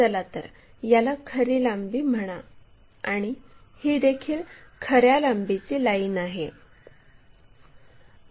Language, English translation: Marathi, So, let us call this one true length, this is also true length lines